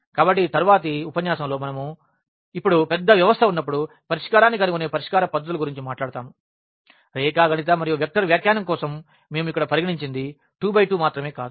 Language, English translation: Telugu, So, in the next lecture we will be talking about this now the solution techniques to find the solution when we have a large system; not just 2 by 2 which we have considered here for geometrical and the vector interpretation